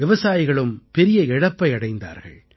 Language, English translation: Tamil, Farmers also suffered heavy losses